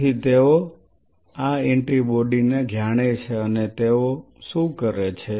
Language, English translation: Gujarati, So, they know this antibody and what they did